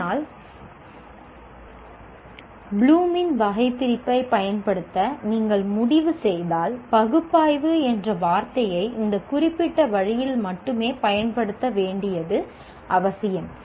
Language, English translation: Tamil, But when you, if you decide to use Bloom's taxonomy, it is necessary to use the word analyze only in this particular way as it is defined here